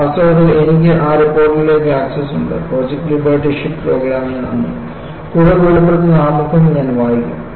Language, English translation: Malayalam, In fact, I have access to that report, thanks to the Project Liberty ship program and I would read the foreword, that would be more revealing